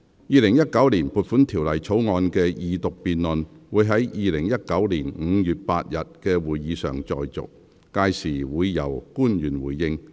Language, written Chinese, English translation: Cantonese, 《2019年撥款條例草案》的二讀辯論會在2019年5月8日的會議上再續，屆時會由官員回應。, This Council will continue the Second Reading debate on the Appropriation Bill 2019 at the meeting of 8 May 2019 during which public officers will respond